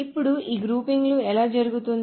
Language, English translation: Telugu, Now how is this grouping done